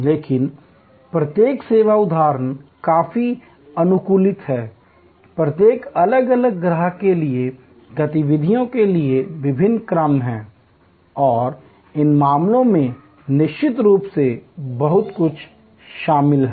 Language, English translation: Hindi, But, each service instance is quite customized, there are different sequences of activities for each individual customer and in these cases of course, there is lot of scheduling involved